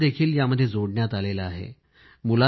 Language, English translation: Marathi, Schools have been integrated